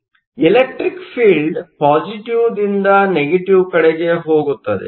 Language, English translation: Kannada, So, the electric field goes from positive to negative